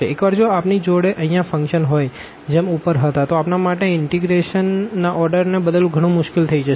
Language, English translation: Gujarati, Once we have the functions here as above in a very general case then we have to be or it is more difficult to change the order of integration